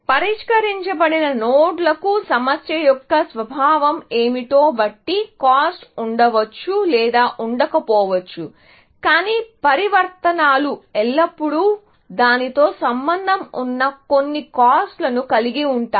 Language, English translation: Telugu, So, solved nodes may or may not have cost, depending on what is the nature of the problem, but transformations will always, have some costs associated with it